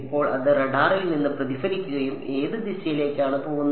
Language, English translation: Malayalam, Now it reflects back from the radar and it goes into which direction the